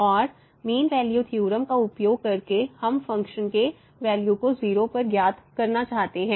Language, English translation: Hindi, And, using mean value theorem we want to find the value of the function at